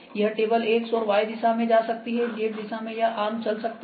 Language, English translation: Hindi, This table can move in X and Y direction; in Z direction this arm can move ok